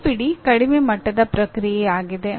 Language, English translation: Kannada, Remember is the lowest level